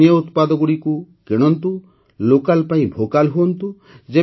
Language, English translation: Odia, Buy local products, be Vocal for Local